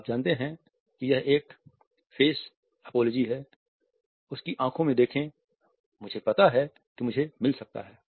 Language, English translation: Hindi, Its a face apology you know look him in the eye, I know I could get